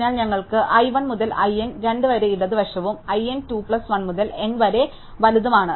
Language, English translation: Malayalam, So, we have i 1 to i n by 2 which is the left and i n by 2 plus 1 to n which is the right